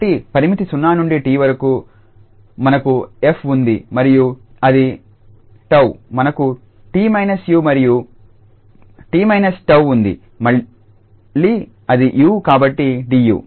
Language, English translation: Telugu, So, the limit 0 to t we have f and this tau we have t minus u and g t minus tau that is again u so du